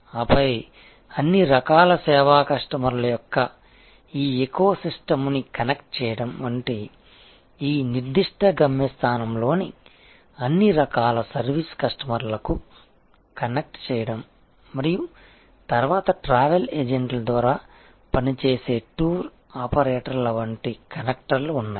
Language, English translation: Telugu, And then, connecting this eco system of all kinds of service customers, connecting to all kinds of service customers in this particular destination and then, there are connectors like tour operators operating through travel agents